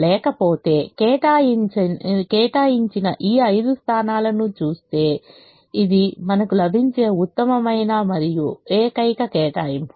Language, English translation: Telugu, otherwise, given this five allocated positions, this is the best and only allocation we can get